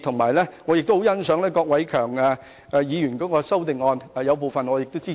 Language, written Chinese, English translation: Cantonese, 我亦十分欣賞郭偉强議員的修正案，對當中部分內容表示支持。, I also really appreciate Mr KWOK Wai - keungs amendment and support some of the proposals contained therein